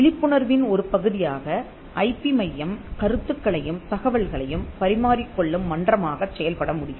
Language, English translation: Tamil, The IP centre can also as a part of the awareness have act as a forum for exchanging ideas and information